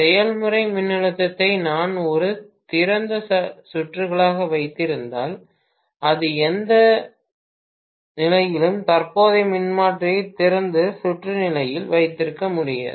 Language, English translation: Tamil, In the process voltage will be stepped up if I keep it as an open circuit, so I cannot keep the current transformer in open circuit condition at any stage, never ever keep the current transformer in open circuit condition